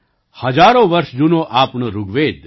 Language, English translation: Gujarati, Our thousands of years old Rigveda